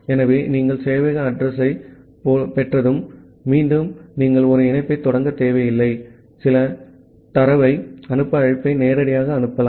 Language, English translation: Tamil, So, after that once you have got the server address, again you do not need to initiate a connection, you can directly make the send to call to send some data